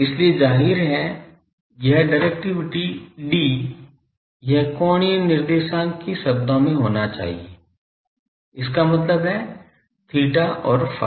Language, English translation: Hindi, So; obviously, this directivity D , this should be a function of the angular coordinates ; that means, theta and phi